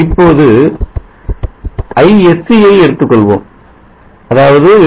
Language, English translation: Tamil, Now let me consider is see this is 8